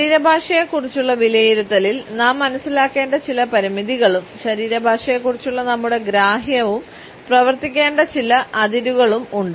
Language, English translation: Malayalam, In our assessment of body language there are certain constraints which we have to understand as well as certain boundaries within which our understanding of body language should work